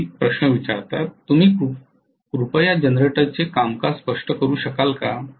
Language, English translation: Marathi, Can you please explain the working of generator